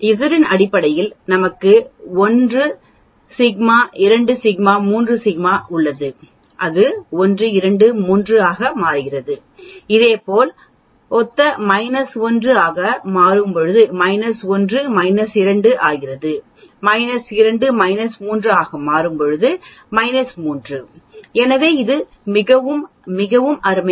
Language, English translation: Tamil, We have 1 sigma, 2 sigma, 3 sigma in terms of Z it becomes 1, 2, 3 and similarly analogous minus 1 sigma will become minus 1, minus 2 sigma will become minus 2, minus 3 sigma will become minus 3, so it is very, very nice